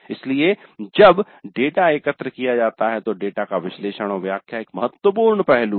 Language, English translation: Hindi, So when the data is collected, analysis and interpretation of the data is a crucial aspect